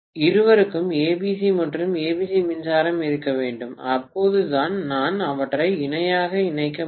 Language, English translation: Tamil, Both have to have ABC and ABC power supply, only then I can connect them in parallel